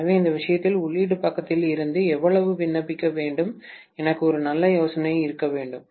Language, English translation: Tamil, So in which case how much should apply from the input side, I should have a fairly good idea